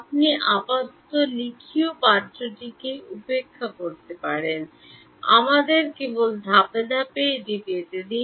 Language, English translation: Bengali, You can ignore the text written for now let us just get to it step by step